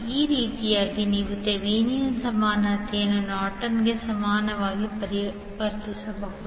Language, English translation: Kannada, So in this way you can convert Thevenin’s equivalent into Norton’s equivalent